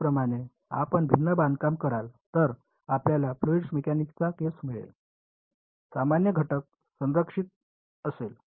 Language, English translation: Marathi, Similarly you do a different construction you get the fluid mechanics case, the normal component is conserved